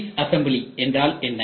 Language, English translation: Tamil, What is disassembly